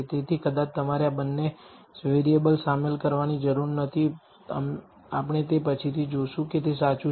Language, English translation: Gujarati, So, perhaps you do not need to include both these variables we will see later that that it is true